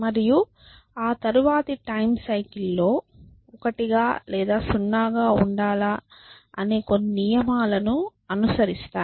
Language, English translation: Telugu, And they follow certain rules whether to remain 1 or 0 in the next time cycle